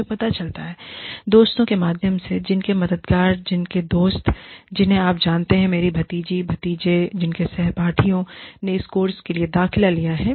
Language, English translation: Hindi, I come to know, through friends, whose helpers, whose friends, whose you know, my nieces and nephews, whose classmates, have enrolled for this course